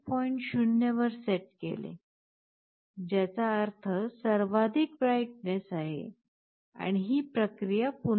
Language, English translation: Marathi, 0, which means maximum brightness and this process repeats